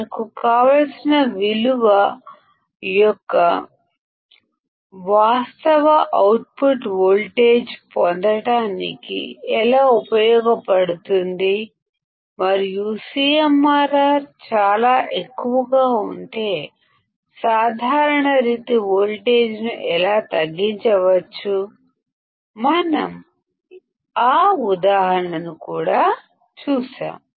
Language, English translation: Telugu, How it is useful to get the actual output voltage of our desired value and how we can reduce the common mode voltage if the CMRR is extremely high; we have seen that example as well